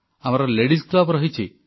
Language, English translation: Odia, There could be a Ladies' club